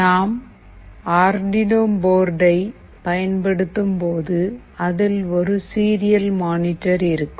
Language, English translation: Tamil, When we are using Arduino board there is a serial monitor